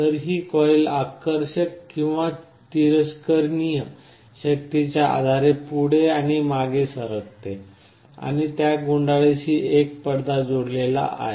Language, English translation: Marathi, So, this coil will be moving forward and backward depending on the attractive or repulsive force and there is a thin diaphragm connected to that coil